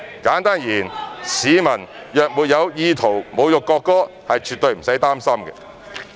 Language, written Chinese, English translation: Cantonese, 簡單而言，市民若沒有意圖侮辱國歌，是絕對不用擔心。, Simply put there is absolutely no need for members of the public to be worried if they have no intention to insult the national anthem